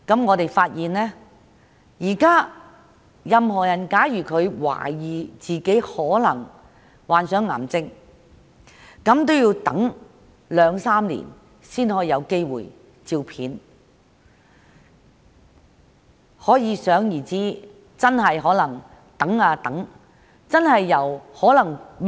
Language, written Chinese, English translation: Cantonese, 我們發現任何人如懷疑自己患上癌症，現時要等候兩三年才有機會接受磁力共振掃描。, We have found that for anyone who suspects that he has cancer the waiting time for him to undergo magnetic resonance imaging examination can be as long as two to three years at present